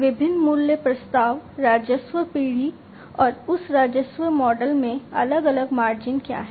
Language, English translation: Hindi, The different value propositions, the revenue generation, and what are the different margins in that revenue model